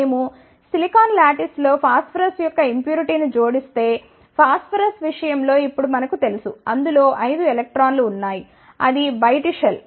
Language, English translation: Telugu, If, we add the impurity of phosphorus in a silicon lattice, now we know in case of phosphorus, it contains the 5 electrons in it is outermost shell